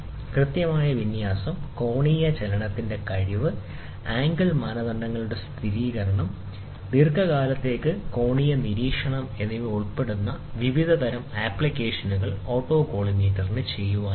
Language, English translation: Malayalam, Autocollimator has a wide variety of application including a precision alignment, deduction of angular movement, verification of angle standards, and angular monitoring over long period can be done by an autocollimator